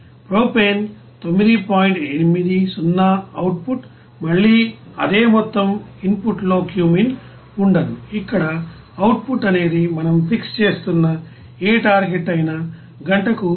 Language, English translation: Telugu, 80 output is again same amount and cumene in the input there will be no cumene, here as output whatever target we are fixing that amount that is 173